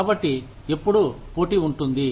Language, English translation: Telugu, So, there is always competition